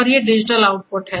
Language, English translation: Hindi, And these are the digital outputs